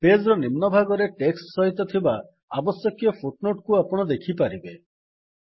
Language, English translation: Odia, You can see the required footnote along with the text at the bottom of the page